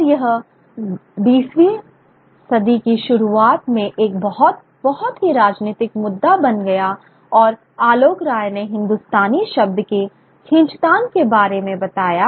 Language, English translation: Hindi, Later on, in the early 20th century, and Alokrai explains the tussle over the term Hindustani